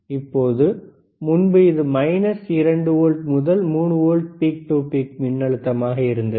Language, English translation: Tamil, So now, the instead of earlier it was minus 2 volts to 3 volts peak to peak voltage